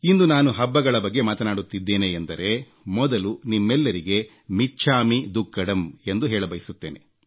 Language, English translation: Kannada, Speaking about festivals today, I would first like to wish you all michhamidukkadam